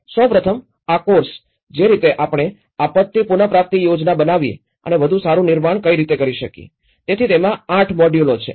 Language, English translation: Gujarati, First of all, this course, the way we planned disaster recovery and build back better, so it has 8 modules